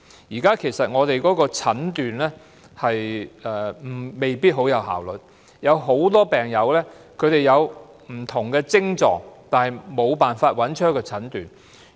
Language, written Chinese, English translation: Cantonese, 香港現時的診斷未必很有效率，很多病友有不同的癥狀，但無法得到診斷。, Medical diagnosis in Hong Kong is not very effective now . Many patients who suffer different symptoms cannot have their illnesses diagnosed